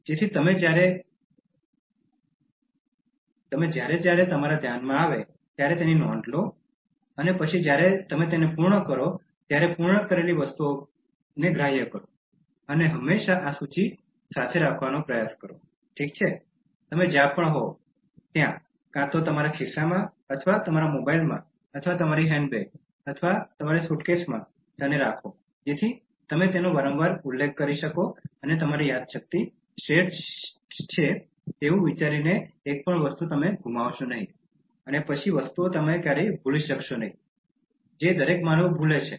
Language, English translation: Gujarati, So that you note down as and when it comes to your mind and then strike the items completed as and when you complete it and always try to keep this list, okay, wherever you are, either in your pocket or in your mobile, or in your handbag, or in your suitcase so that you can refer to them frequently and do not miss a single item thinking that your memory is superior and then you will never forget things is a every human mistake and normally we think like that